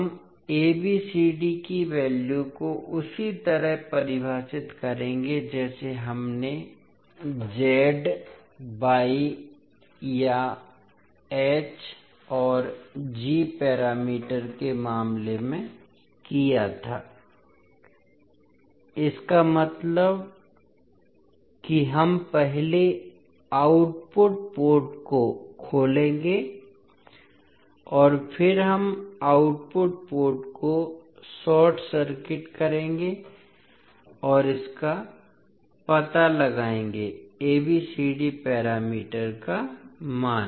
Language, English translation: Hindi, We will define the values of ABCD similar to what we did in case of Z Y or in case of H and G parameters, means we will first open circuit the output port and then we will short circuit the output port and find out the value of ABCD parameters